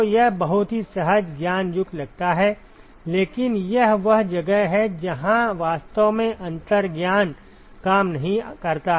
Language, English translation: Hindi, So, it sounds very counterintuitive, but this is where this is one place where actually intuition does not work